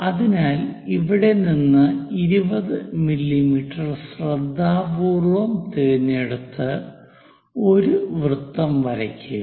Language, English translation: Malayalam, So, carefully pick measure 20 mm from here draw a circle